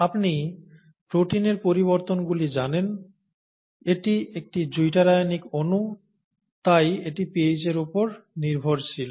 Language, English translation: Bengali, You know that the charges on the protein, this is a zwitter ionic molecule, therefore it is pH dependent and so on